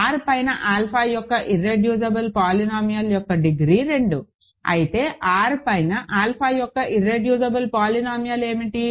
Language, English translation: Telugu, So, degree of the irreducible polynomial of alpha over R is 2, but what is the irreducible polynomial of alpha over R